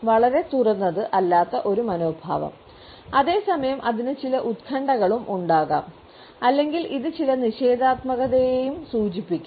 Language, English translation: Malayalam, An attitude which does not want to become very open and at the same time it may also have certain anxiety or it may also indicate certain negativity